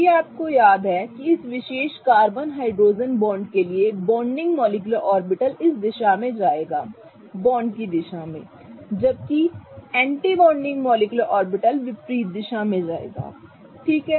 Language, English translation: Hindi, If you remember the bonding molecular orbital for this particular carbon hydrogen bond will go in this direction in the direction of the bond whereas the anti bonding molecular orbital will go in the opposite direction